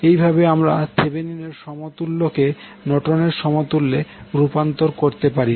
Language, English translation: Bengali, So in this way you can convert Thevenin’s equivalent into Norton’s equivalent